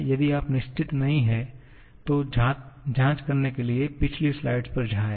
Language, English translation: Hindi, If you are not sure, just go to the previous slide to check